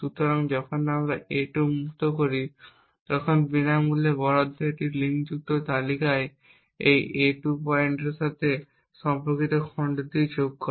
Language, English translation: Bengali, So, when we have freed a2 the free allocation adds the chunk corresponding to this a2 pointer in a linked list and it marks then the in use bit in the next chunk as 0